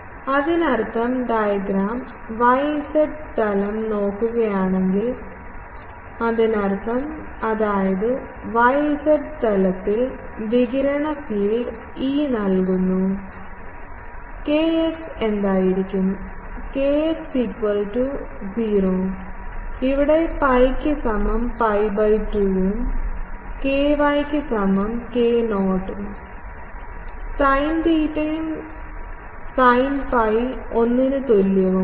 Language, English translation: Malayalam, , in the yz plane, the radiated field is given by E theta there will be what will be kx kx is 0 in this for pi is equal to pi by 2 and ky is k not sin theta and sin phi is equal to 1